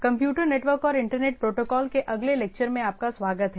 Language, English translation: Hindi, So, welcome to the next lecture on Computer Networks and Internet Protocols